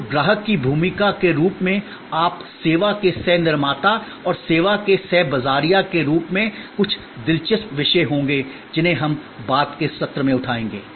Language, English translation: Hindi, So, the role of the customer as you co creator of service and as a co marketer of the service will be some interesting topics that we will take up in the subsequence session